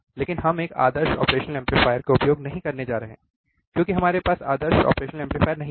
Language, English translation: Hindi, But we are not going to use an ideal operational amplifier, because we do not have ideal operational amplifier